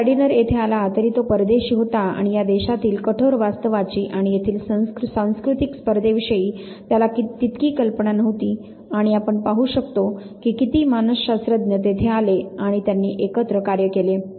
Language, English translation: Marathi, Even Gardiner when he came here he was a foreigner, not so aware of the harsh realities of this very country and it’s cultural contest and see how many psychologist came there and work together